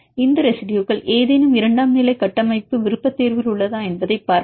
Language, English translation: Tamil, Then we see whether these residues are present in any secondary structure preference